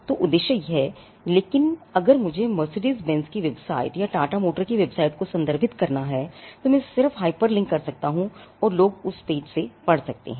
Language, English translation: Hindi, So, it is objective of, but if I need to refer to something say Mercedes Benz’s website or Tata motor’s website so, something I can just hyperlink and people can read from that page